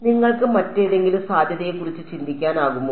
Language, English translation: Malayalam, Can you think of any other possibility